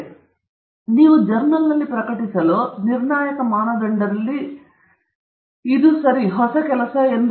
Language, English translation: Kannada, I mentioned right at the beginning, that for you to publish in a journal, one of the defining criteria is that it is new work okay